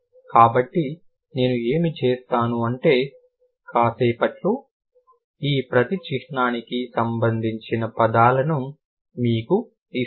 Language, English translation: Telugu, So, what I'll do, I'll give you the corresponding words for each of these symbols in a while